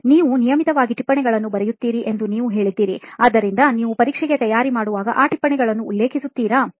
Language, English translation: Kannada, You said you write notes regularly, so do you refer those notes while you prepare for the exam